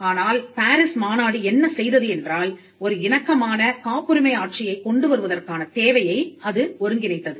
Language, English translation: Tamil, So, but what the PARIS convention did was it brought together the need for having a harmonized patent regime